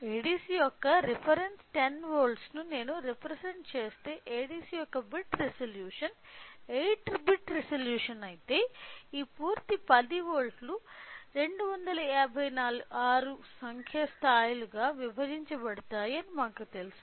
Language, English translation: Telugu, So, and if the bit resolution of ADC is 8 bit resolution we know that this complete 10 volts will be divided into 256 number of levels